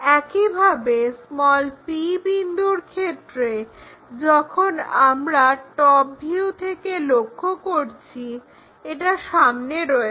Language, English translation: Bengali, Similarly, p point when we are looking from top view that is in front, so 15 mm below